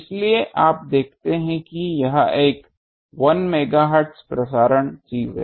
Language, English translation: Hindi, So, popular you see this is a 1 megahertz is a broadcasting thing